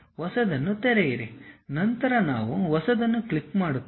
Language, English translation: Kannada, Open the new one, then we click the New one